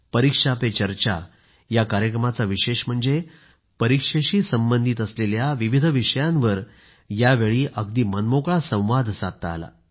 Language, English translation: Marathi, One of the focal points of 'ParikshaPeCharcha' was that there were lively interactions on various topics related with the entire process of examinations